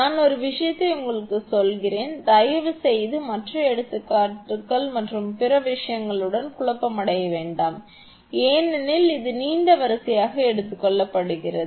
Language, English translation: Tamil, V 1 just let me tell you one thing please do not confuse with other examples and other thing because it is have taken as a long line thing